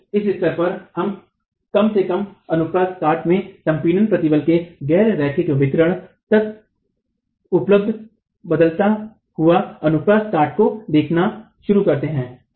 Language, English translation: Hindi, So, from this stage on we start looking at reduced cross section available in compression till the non linear distribution of compressive stress in the cross section